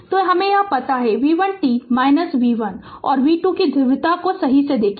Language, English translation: Hindi, So, this we know v 1 t is equal to look at the polarity of v 1 and v 2 right everything